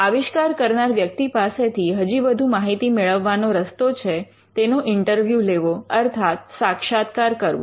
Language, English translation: Gujarati, Another way to get information from the inventor is, by interviewing the inventor